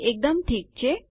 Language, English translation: Gujarati, Its absolutely fine